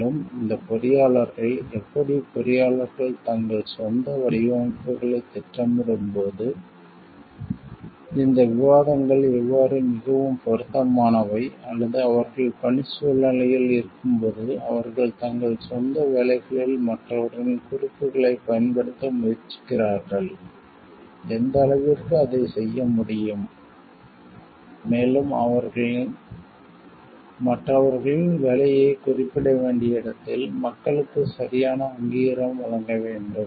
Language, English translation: Tamil, And how these engineers, how these discussions are more relevant for engineers while they are planning their own designs, or they are in the work situations they are trying to use others references in their own work, to what extent they can do it, and where they need to refer to the work of others, and give proper acknowledgement to people